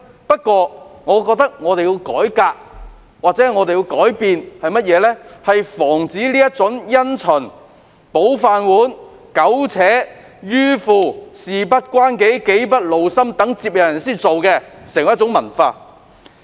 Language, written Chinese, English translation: Cantonese, 不過，我覺得我們需要改革或改變，以防這種想保着自己的"飯碗"而因循苟且、迂腐、"事不關己，己不勞心"或待接任人處理的做法成為文化。, But I think we need some reform or changes so as to prevent their rigid adherence to the established practice for the sake of keeping their rice bowls sloppiness stubbornness aloofness or mentality of leaving the work to the successor from developing into a culture